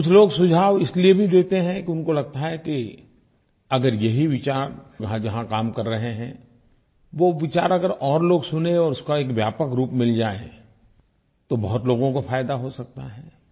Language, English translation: Hindi, Some people also give suggestions thinking that if an idea has the potential to work then more people would listen to it if it is heard on a wider platform and hence many people can benefit